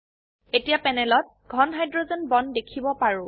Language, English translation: Assamese, Now on the panel we can see thicker hydrogen bonds